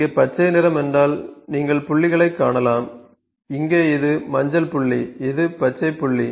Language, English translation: Tamil, The green colour here means, you can see the dots, here this is yellow dot, this is green dot ok